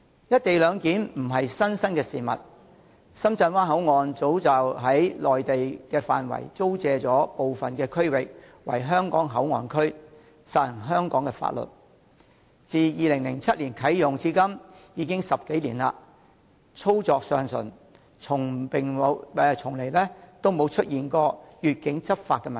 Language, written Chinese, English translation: Cantonese, "一地兩檢"並非甚麼新鮮事，深圳灣口岸早已實行在內地範圍租借部分區域予香港以作為香港口岸區，實施香港的法律，自2007年啟用至今，已10多年，一直運作暢順，從沒發生越境執法的問題。, The co - location arrangement is not something new and an area within the Mainland territory at the Shenzhen Bay Port has already been leased to Hong Kong as a port area where the laws of Hong Kong apply . The arrangement has been operating smoothly for more than 10 years since 2007 and the problem of enforcing laws across the boundary has never arisen